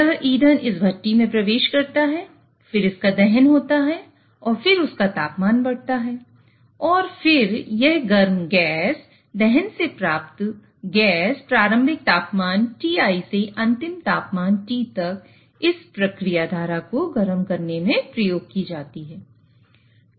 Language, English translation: Hindi, And then its temperature increases and that hot gas, the combustive gas is used to heat this process stream from initial temperature TI to the final temperature T